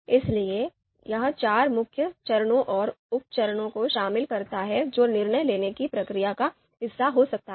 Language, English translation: Hindi, So that covers the four main steps and the sub steps that could be part of the decision making process